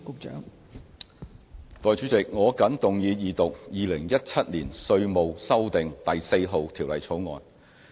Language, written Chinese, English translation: Cantonese, 代理主席，我謹動議二讀《2017年稅務條例草案》。, Deputy President I move the Second Reading of the INLAND REVENUE AMENDMENT NO . 4 BILL 2017 the Bill